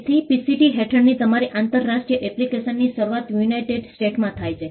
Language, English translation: Gujarati, So, your international application under the PCT begins in the United States